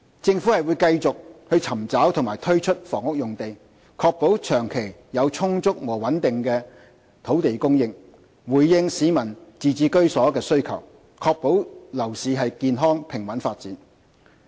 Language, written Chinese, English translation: Cantonese, 政府會繼續尋找及推出房屋用地，確保長期有充足和穩定的土地供應，回應市民自置居所的需求，確保樓市健康平穩發展。, The Government will continue identifying and rolling out lands for housing to ensure sufficient and stable land supply in the long term to respond to the home ownership needs of the public and ensure healthy and stable development of the property market